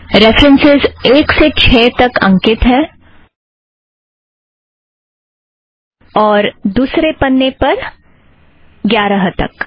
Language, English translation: Hindi, The references are numbered from one through six, and in the next page, up to eleven